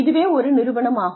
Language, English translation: Tamil, It is the organization